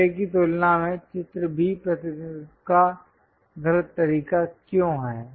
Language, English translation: Hindi, Picture B is wrong way of representation when compared to picture A why